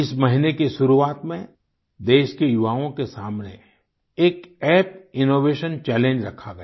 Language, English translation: Hindi, At the beginning of this month an app innovation challenge was put before the youth of the country